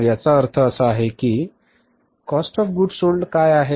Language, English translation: Marathi, So, it means what is the COGS